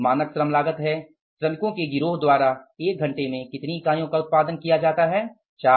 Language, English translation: Hindi, Standard labor cost per unit is how many units are produced in one hour by the gang of the workers is 4